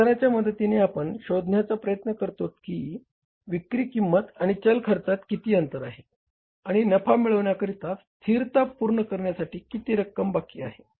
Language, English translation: Marathi, With the help of contribution, we try to find out that what is the gap between the selling price and the variable cost and how much is left to meet the fixed cost and to earn as a profit